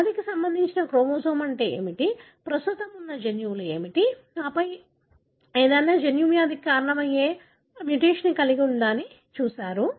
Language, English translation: Telugu, You looked at what is a chromosome that is linked to the disease, what are the genes that are present and then, whether any of the gene carries any mutation that could be causing the disease